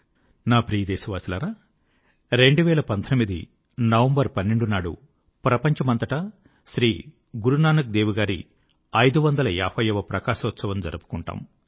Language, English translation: Telugu, My dear countrymen, the 12th of November, 2019 is the day when the 550th Prakashotsav of Guru Nanak dev ji will be celebrated across the world